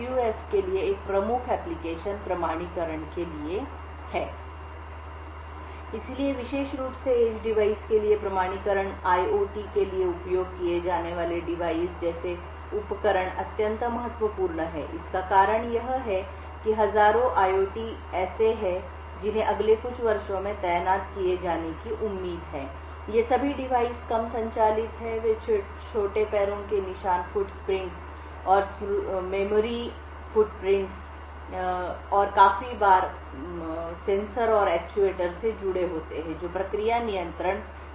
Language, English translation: Hindi, So, authentication especially for edge device, devices like which I use for IOT is extremely important, the reason being that there are like thousands of IOTs that are expected to be deployed in the next few years, all of these devices are low powered, they have small footprints, memory footprints and quite often connected to sensors and actuators in process control plants